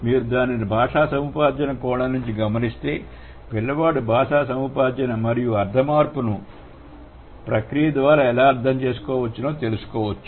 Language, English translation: Telugu, And if you approach it from a language acquisition perspective, you have to find out how a child acquires certain phrases and how the semantic change can be understood through the process of language acquisition